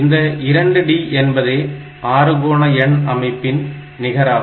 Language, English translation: Tamil, This is 2 D in the hexadecimal number system